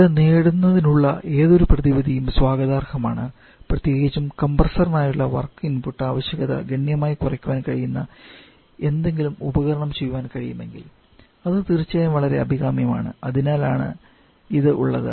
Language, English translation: Malayalam, And any option of achieving that is welcome and a particular if we can device something where the work input requirement for the compressor can be substantially reduce that is definitely very much desirable and that is why we have this ammonia and water written here